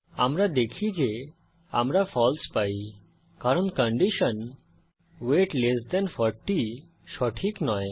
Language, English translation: Bengali, We see that we get a False because the condition, weight less than 40 is not true